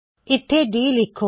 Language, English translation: Punjabi, Put d here